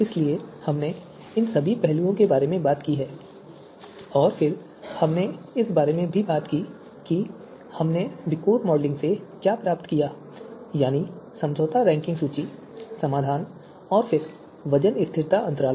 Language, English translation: Hindi, So all these you know aspect we have talked about you know then we also talked about the you know a VIKOR what we obtained from the VIKOR modelling the compromise ranking list the solution and then the weight stability intervals